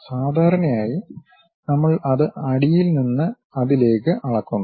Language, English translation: Malayalam, And usually we measure it from bottom all the way to that